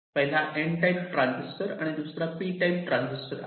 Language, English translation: Marathi, one is an n type transistor, one is a p type transistor